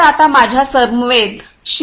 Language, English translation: Marathi, So, I now have with me Mr